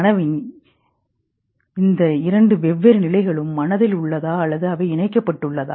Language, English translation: Tamil, Are these two different states of consciousness in mind or are they connected